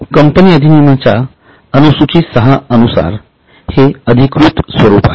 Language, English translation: Marathi, Now this is the official format as per the Schedule 6 of Companies Act